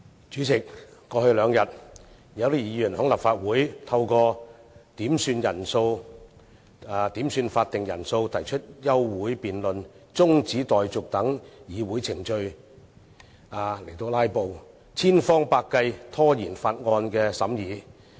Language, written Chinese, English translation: Cantonese, 主席，過去兩天，有些議員在立法會透過點算法定人數、提出休會辯論和中止待續議案等議會程序"拉布"，千方百計拖延《條例草案》的審議。, President over the past two days some Members have made use of such procedures as requesting headcounts and proposing adjournment debates and adjournment motions to filibuster in the Legislative Council trying hard to delay the examination of the Bill